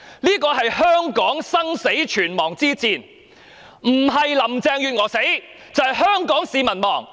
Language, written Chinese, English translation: Cantonese, 這是香港生死存亡之戰，不是林鄭月娥死，便是香港市民亡。, This is a matter of life and death for Hong Kong when either Carrie LAM or Hong Kong can survive